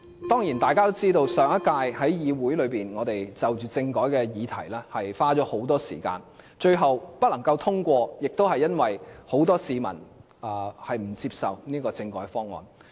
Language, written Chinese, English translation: Cantonese, 當然，大家也知道我們在上屆議會中，就着政改的議題花了很多時間，最後不能通過是因為很多市民不接受該政改方案。, Of course everyone knows that we spent a lot of time on the motion on constitutional reform during the previous Legislative Council but eventually failed to pass it because a lot of people could not accept the constitutional reform proposal